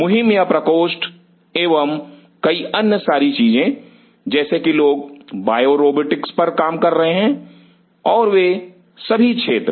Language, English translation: Hindi, Campaign or chambers and several other things people work on bio robotics and all those areas